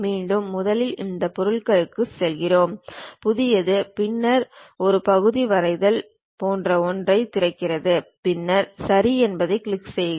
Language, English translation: Tamil, Again first we go to this object New, then it opens something like a Part drawing, click then Ok